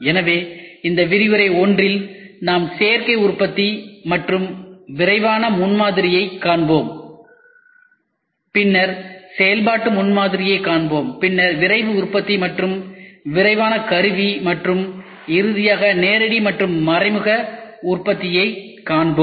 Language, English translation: Tamil, So, in this lecture 1, we will try to see Additive Manufacturing we would see a rapid prototyping then we will see functional prototyping then we will see Rapid Manufacturing then rapid tooling and finally, direct and indirect manufacturing